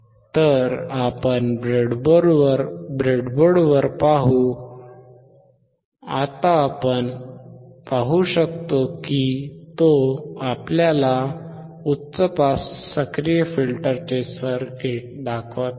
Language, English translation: Marathi, So, let us see on the breadboard, now we can we can see he is showing us the circuit of the high pass active filter